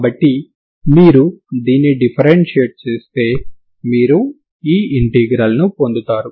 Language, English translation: Telugu, So this is what if you differentiate this you will get this integral so this is plus C1 of eta